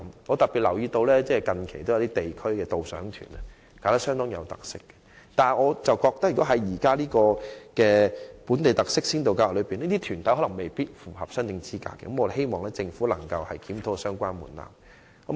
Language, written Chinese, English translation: Cantonese, 我特別留意到近期有些極具特色的地區導賞團，但主辦團體卻未必符合這項先導計劃的申請資格，所以希望政府能檢討相關門檻。, Recently I especially notice some very characteristic local guided tours but the organizers may not meet the qualification for applying for the Pilot Scheme so I hope the Government can review the relevant threshold